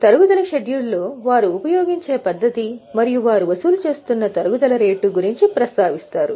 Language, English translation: Telugu, In the depreciation schedule they will have mentioned the method as well as the rate at which they are charging depreciation